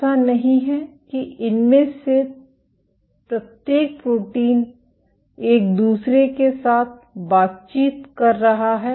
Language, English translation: Hindi, It is not that each of these proteins is interacting with each other